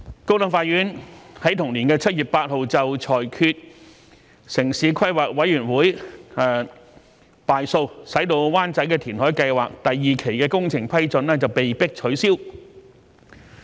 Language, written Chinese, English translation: Cantonese, 高等法院於同年7月8日裁決城市規劃委員會敗訴，使灣仔填海計劃第二期的工程批准被迫取消。, The High Court ruled against the Town Planning Board on 8 July of the same year and the project approval for Wanchai Reclamation Phase II was forced to be rescinded